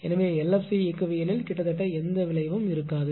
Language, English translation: Tamil, So, there will be almost no effect on the LFC dynamics right